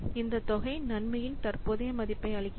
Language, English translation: Tamil, So, this amount is called the present value of the benefit